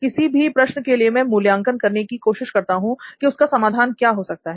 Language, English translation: Hindi, So for any question, first I try to analyze what the solution to give for that, solution for it